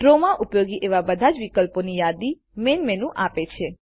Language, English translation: Gujarati, The Main menu lists all the options that we can use in Draw